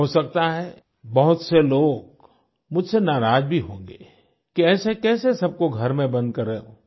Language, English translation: Hindi, It is possible that many are annoyed with me for their confinement in their homes